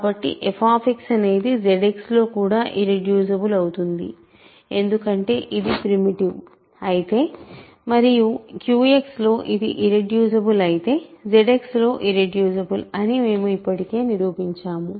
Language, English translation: Telugu, So, f X is also irreducible in Z X, ok because, if its primitive and its irreducible in Q X we proved already that it is irreducible in Z X